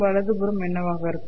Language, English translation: Tamil, What would be the right hand side